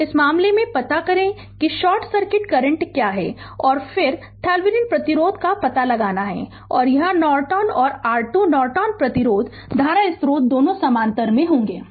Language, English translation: Hindi, So, in this case what we will do we have to find out that what is short circuit current right and then we have to find out Thevenin resistance and this Norton and your Thevenin Norton resistance current source both will be in parallel right